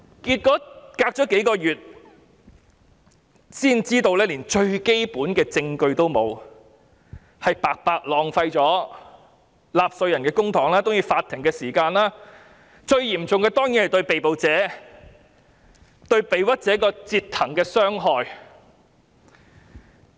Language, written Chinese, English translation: Cantonese, 結果，事隔數月，才知道連最基本的證據也沒有，白白浪費了納稅人的公帑和法庭的時間，最嚴重的當然是對被捕者或被冤枉者的折騰、傷害。, Eventually only after several months did they realize that there was not even the basic evidence . Taxpayers money and court time were thus wasted . The most serious consequence was certainly the flip - flopping and harm done to the arrestee or the wrongly accused